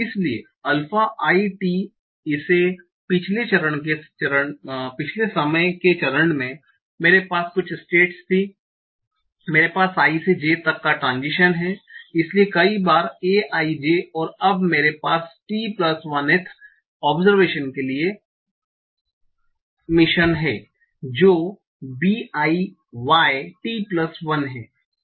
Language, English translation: Hindi, At the previous time step i had some state i i have the transition from i to j so times a j and now i have the emission for the t plus 1th observation that is b jY t plus 1